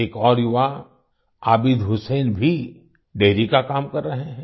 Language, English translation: Hindi, Another youth Abid Hussain is also doing dairy farming